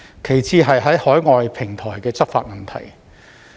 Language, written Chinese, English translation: Cantonese, 其次是在海外平台執法的問題。, The second concern is about enforcement on overseas platforms